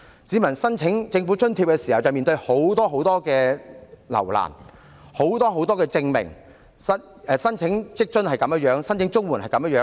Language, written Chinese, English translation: Cantonese, 市民申請政府津貼的時候遭到甚多留難，需要提交很多證明，不論申請在職家庭津貼或綜援也是這樣。, When applying for government subsidies members of the public encounter numerous difficulties and need to produce a lot of proofs . That is the case with applications for both the Working Family Allowance and CSSA